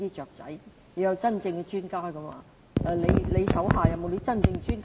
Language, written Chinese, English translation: Cantonese, 我們需要真正的專家，局長手下有沒有真正的專家？, We need genuine experts . Does the Secretary have genuine experts?